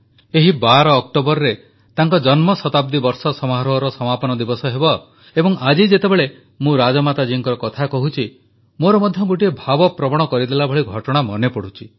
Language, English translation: Odia, This October 12th will mark the conclusion of her birth centenary year celebrations and today when I speak about Rajmata ji, I am reminded of an emotional incident